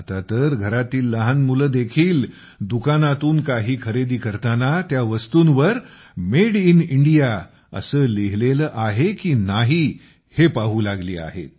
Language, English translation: Marathi, Now even our children, while buying something at the shop, have started checking whether Made in India is mentioned on them or not